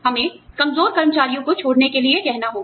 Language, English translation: Hindi, We have to ask, the underperforming employees, to leave